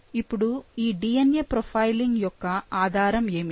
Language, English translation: Telugu, Now, what is the basis of DNA profiling